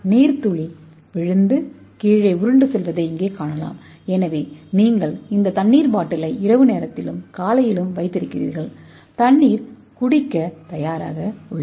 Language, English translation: Tamil, You can see here the water droplet falls and rolls in to the bottom so you keep this water bottle in the night time and morning your water is ready for drinking